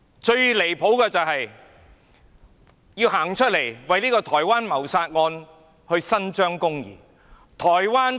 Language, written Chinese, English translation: Cantonese, 最離譜的是，官員站出來為一宗台灣謀殺案伸張公義。, The most outrageous of all is that government officials come forward to pursue justice for a homicide case in Taiwan